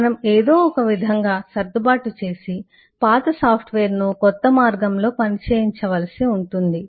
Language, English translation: Telugu, well have to somehow tweak around and make the old software work in the new way